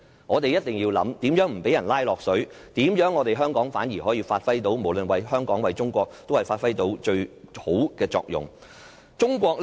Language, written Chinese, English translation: Cantonese, 我們一定要思考，如何不被"拉落水"？無論為香港或中國，香港如何發揮到最好的作用？, We must think about how we can avoid any collateral damage and how Hong Kong should act in order to ensure the best interest of both itself and the country